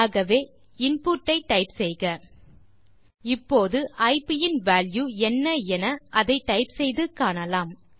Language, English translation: Tamil, So you can type an input Now let us see what is the value of ip by typing it